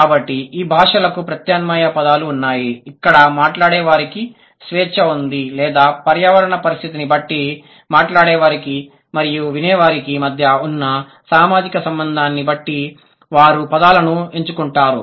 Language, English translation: Telugu, So, these languages, they have alternative words where the speakers have the liberty or depending on the environmental condition, the social relation, depending on the social relation between the speaker and the dressy, they choose the words